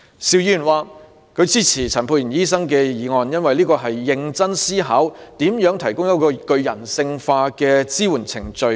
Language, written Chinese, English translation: Cantonese, 邵議員支持陳沛然醫生的議案，因為那是一個經過認真思考，向性侵受害人提供具人性化支援的程序。, Mr SHIU supports Dr Pierre CHANs motion because the humanized procedures to support services to victims of sexual abuse cases have been seriously considered